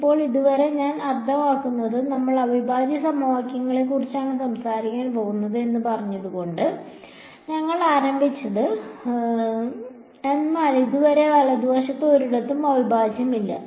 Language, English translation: Malayalam, Now, so far I mean we started by saying that we are going to talk about integral equations but, so far there is no integral anywhere inside right